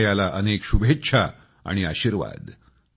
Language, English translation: Marathi, Best wishes and blessings to Hanaya